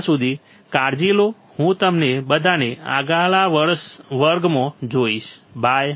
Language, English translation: Gujarati, Till then take care, I will see you all in the next class, bye